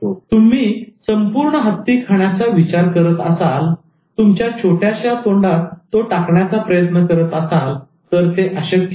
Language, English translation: Marathi, If you think of eating the whole elephant, putting that in your small mouth, it is impossible